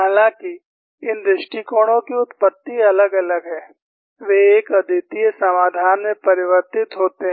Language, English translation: Hindi, Though, the origin of these approaches are different, they converge to a unique solution